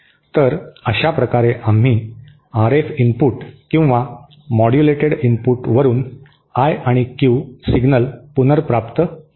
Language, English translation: Marathi, So, this way we recovered the I and Q signals from the RF input or the modulated input